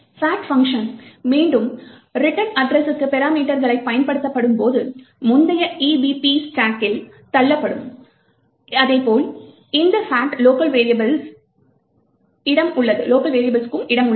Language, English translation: Tamil, When the fact function gets invoked again parameters to the fact return address and the previous EBP gets pushed onto the stack and similarly there is space present for this fact locals